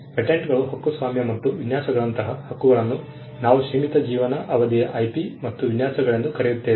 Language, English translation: Kannada, With because rights like patents, copyright, and designs, what we call limited life IP and designs